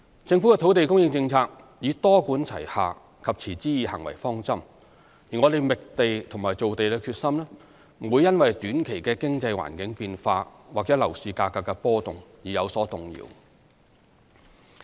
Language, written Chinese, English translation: Cantonese, 政府的土地供應政策以多管齊下及持之以恆為方針，而我們覓地和造地的決心不會因短期的經濟環境變化或樓市價格的波動而有所動搖。, The Governments policy on land supply is underpinned by a multi - pronged and sustained approach . Our determination to find and create land will not be shaken by short - term changes in the economic landscape or fluctuations in property prices